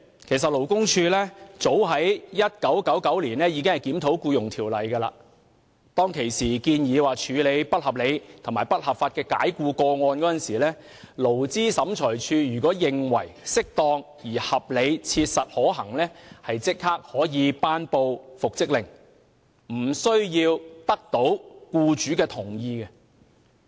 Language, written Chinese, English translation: Cantonese, 其實，勞工處早在1999年已經檢討《僱傭條例》，當時的建議是，在處理不合理及不合法解僱的個案時，勞資審裁處如認為適當而合理切實可行，即可頒布復職令，無須取得僱主同意。, In fact as early as 1999 the Labour Department already reviewed the Employment Ordinance and it was proposed that when dealing with a case of unreasonable and unlawful dismissal the Labour Tribunal should have the power to make an order for reinstatement if it considered it appropriate and reasonably practicable to do so without having to secure the employers consent